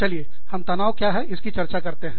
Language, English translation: Hindi, Let us discuss, what stress is